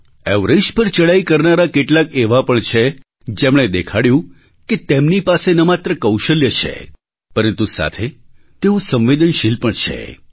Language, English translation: Gujarati, There are some mountaineers who have shown that apart from possessing skills, they are sensitive too